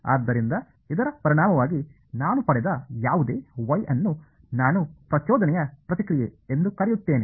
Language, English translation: Kannada, So, as a result whatever Y I have got I call it the impulse response ok